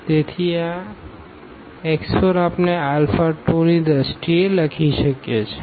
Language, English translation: Gujarati, So, this x 4 we can write down in terms of alpha 2